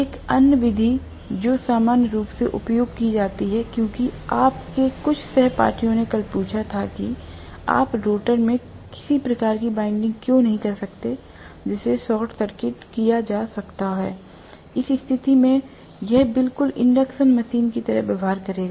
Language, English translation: Hindi, Another method normally that is used because some of your classmates yesterday asked, why cannot you have some kind of winding in the rotor which can be short circuited, in which case it will exactly behave like an induction machine, right